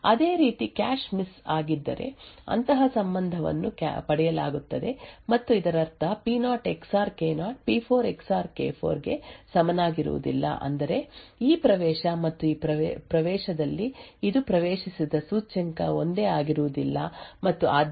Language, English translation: Kannada, Similarly if there is a cache miss then a relation such as this is obtained and it would mean that P0 XOR K0 is not equal to P4 XOR K4 which means that the index accessed by this in this access and this access are not the same and therefore K0 XOR K4 is not equal to P0 XOR P4